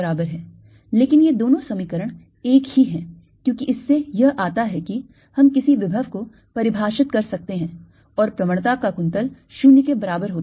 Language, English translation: Hindi, but these two equations are one and the same thing, because from this follows that i, we can define a potential, and curl of a gradient is zero